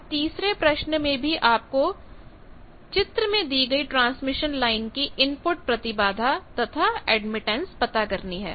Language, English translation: Hindi, You will have to find out what is an input impedance and admittance of the transmission line given in figure